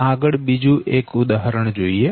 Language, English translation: Gujarati, so next, another example